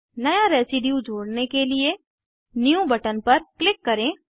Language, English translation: Hindi, To add a new residue, click on New button